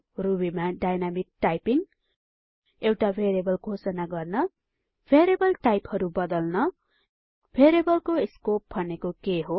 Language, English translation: Nepali, Dynamic typing in Ruby Declaring a variable Converting variable types What is variables scope